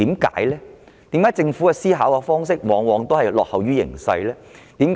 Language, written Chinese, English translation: Cantonese, 為何政府的思考方式往往落後於形勢呢？, Why does the Governments mindset always lag behind the times?